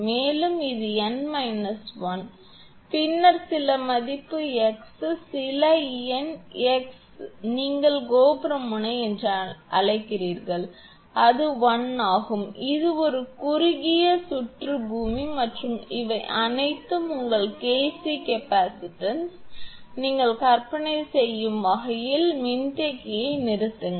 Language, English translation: Tamil, And this is n minus 1 then some value x some number x there then it is that your near the your what you call the tower end, it is 1, as if it is a short circuited earth and these are all KC capacitance as if your shunt capacitor this way you imagine